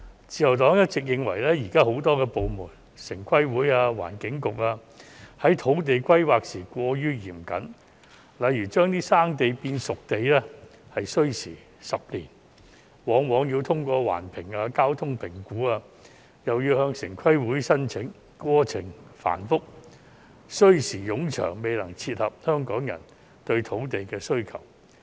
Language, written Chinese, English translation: Cantonese, 自由黨一直認為現時有很多部門，包括城市規劃委員會和環境局，在土地規劃時過於嚴謹，例如"生地"變成"熟地"便需時10年，往往要通過環境及交通評估，又要向城規會申請，過程繁複、需時冗長，未能配合香港人對土地的需求。, The Liberal Party has always held the view that many departments including the Town Planning Board TPB and the Environment Bureau are too stringent in respect of land planning . For instance it takes 10 years to turn potential sites to disposable sites . Very often assessments on environment and traffic have to be passed and application has to be made to TPB